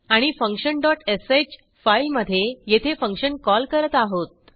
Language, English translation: Marathi, And we are calling the function here in function dot sh file